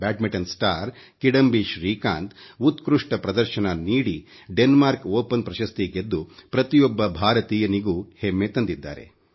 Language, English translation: Kannada, Badminton star Kidambi Srikanth has filled every Indian's heart with pride by clinching the Denmark Open title with his excellent performance